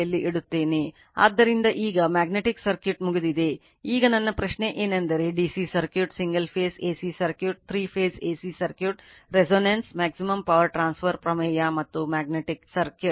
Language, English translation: Kannada, So, now, magnetic circuit is over, now my question is that when you will come up to this listening that the DC circuit, single phase AC circuit, 3 phase AC circuit, resonance, maximum power transfer theorem and magnetic circuit